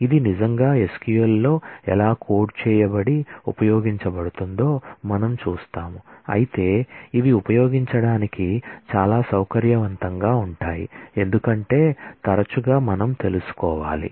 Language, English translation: Telugu, We will see how this really can be coded in SQL and used, but these are this become very convenient to use because often we will need to know